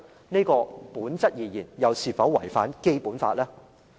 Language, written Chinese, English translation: Cantonese, 在本質而言，這又是否違反《基本法》呢？, Is this a contravention of the Basic Law in nature?